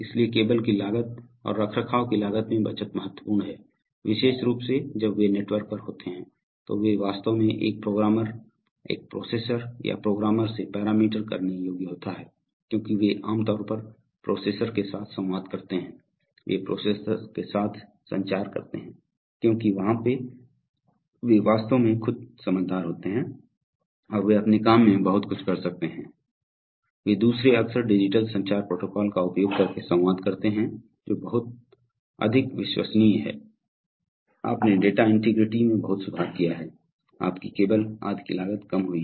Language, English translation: Hindi, So savings in cable costs and maintenance costs are significant, then they are, they are sometimes, especially when they are on the network they are actually programmable from a, parameterizable from a processor or a programmer, they have, because they generally communicate with the processor over, they first of all, they communicate with the processor infrequently because they can, there, they are actually intelligent themselves and they can do much of their work, secondly they often communicate with using digital communication protocols which are much more reliable, so you have much improved data integrity, your cost of cable etc comes down